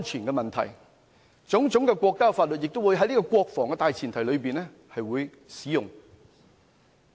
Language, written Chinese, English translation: Cantonese, 國家的種種法律也會在國防的大前提上使用。, National laws will also apply on the premise of defence